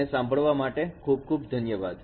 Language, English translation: Gujarati, Thank you very much for your listening